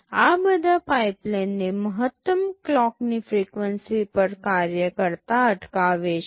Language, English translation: Gujarati, All of these prevent the pipeline from operating at the maximum clock frequency